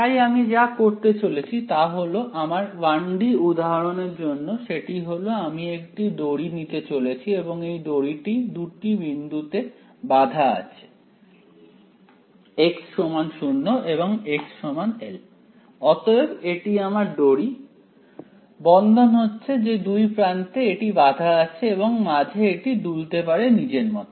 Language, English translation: Bengali, So, what I am going to do is for my 1 D example I am going to take a string and this string is tied at two points x=0 and x=l ok, so that is my string, it is constrained it is tied at two ends and it can oscillate in between anyhow